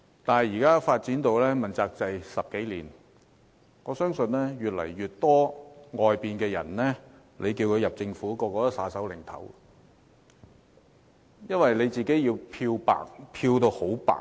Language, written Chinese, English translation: Cantonese, 問責制發展了10多年，我相信越來越多外界人士不願加入政府，因為他們需要將自己漂得很白。, While the accountability system has developed for some 10 years I believe more and more outsiders are unwilling to join the Government for they need to be whiter than white